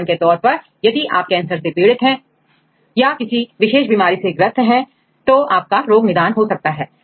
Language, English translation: Hindi, For example, if you are affected with a cancer or any specific diseases they are treated